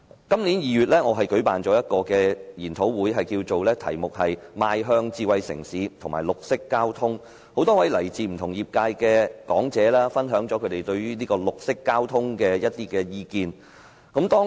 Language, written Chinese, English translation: Cantonese, 今年2月，我舉辦了一個研討會，題目是"邁向智慧城市與綠色交通"，多位來自不同業界的講者分享了他們對於綠色交通的意見。, In February this year I held a seminar with the topic Towards a smart city and a green transport system and invited speakers from various industries to share their views on green transport